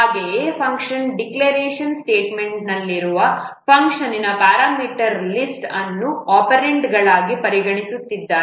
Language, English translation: Kannada, However, if the parameter list of a function in the function declaration statement is not considered an operands